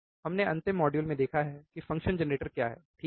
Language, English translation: Hindi, We have seen in the last modules what is function generator, right